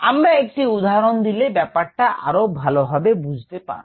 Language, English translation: Bengali, let us see an example to understand this a little better